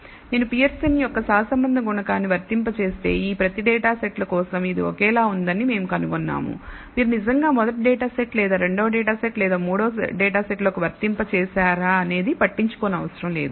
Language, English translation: Telugu, So, if I apply Pearson’s compute Pearson’s correlation coefficient for each of these data sets we find that it is identical, does not matter whether the, you actually apply into first data set or second data set or the third data set